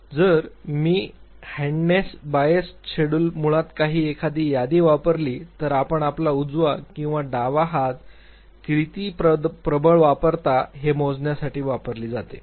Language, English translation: Marathi, So, if I use handedness biased schedule basically an inventory which is used to measure how dominant you use your right or your left hand